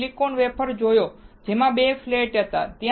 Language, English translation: Gujarati, We have seen a silicon wafer, which had 2 flats